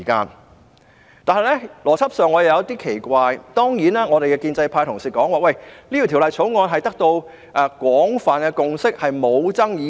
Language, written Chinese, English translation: Cantonese, 然而，我在邏輯上感到奇怪，建制派同事說這項《條例草案》已得到廣泛共識，而且沒有爭議性。, However I find the logic weird . Members from the pro - establishment camp say that a general consensus has already been reached for this Bill which is not controversial